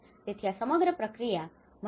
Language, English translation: Gujarati, So, this whole process has a multidisciplinary